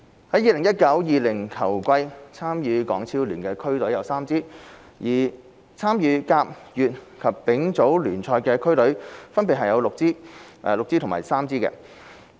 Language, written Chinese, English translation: Cantonese, 在 2019-2020 球季，參與港超聯的區隊有3支，而參與甲、乙及丙組聯賽的區隊分別有6支、6支及3支。, In the 2019 - 2020 football season there are three district teams playing in HKPL six in the First Division six in the Second Division and three in the Third Division Leagues